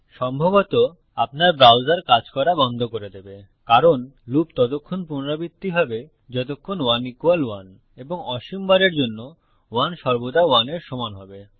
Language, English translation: Bengali, It would probably crash your browser because the loop would be repeated as long as 1=1 and for infinite no